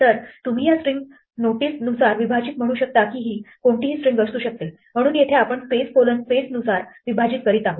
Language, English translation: Marathi, So, you can say split according to this string notice that this could be any string so here we are splitting it according to space colon space